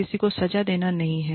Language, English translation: Hindi, It is not to punish, anyone